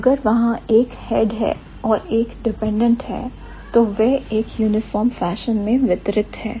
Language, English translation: Hindi, So, if there is a head and there is a dependent, they are distributed in a uniform fashion